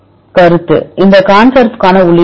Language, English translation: Tamil, Concept; what is the input for this ConSurf